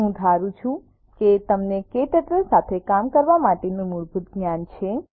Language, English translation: Gujarati, We assume that you have basic working knowledge of Kturtle